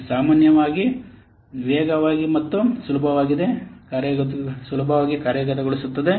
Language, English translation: Kannada, It is usually faster and easier to implement